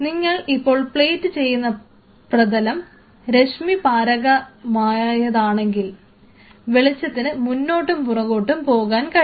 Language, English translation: Malayalam, So, if you know that your plating surface is transparent light can move back and forth